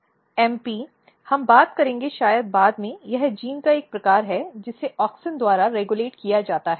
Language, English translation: Hindi, So, this MP we will talk maybe later on this is a kind of genes which is regulated by auxin